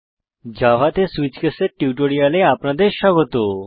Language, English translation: Bengali, Welcome to the spoken tutorial on Switch case in Java